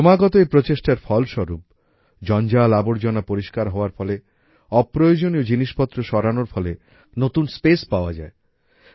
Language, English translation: Bengali, The result of these continuous efforts is that due to the removal of garbage, removal of unnecessary items, a lot of space opens up in the offices, new space is available